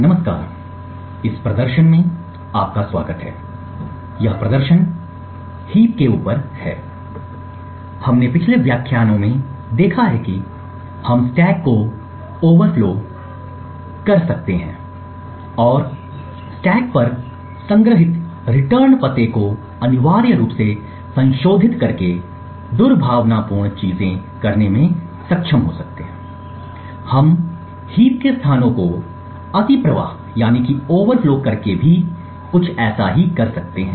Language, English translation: Hindi, Hello, welcome to this demonstration, so this demonstration is on heaps, we have seen in the previous lectures about how we could overflow the stack and be able to do malicious things by essentially modifying the return address which is stored on the stack, we can also do something very similar by overflowing heap locations